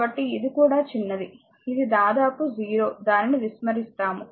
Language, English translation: Telugu, So, it is also small it is almost 0 will neglect it, right